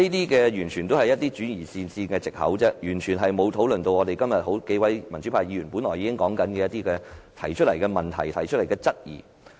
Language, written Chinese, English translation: Cantonese, 這些完全是轉移視線的藉口，完全沒有討論今天幾位民主派議員提出的問題和質疑。, All these are excuses for the purpose of diverting our attention while the problems and queries raised today by pan - democratic Members have not been discussed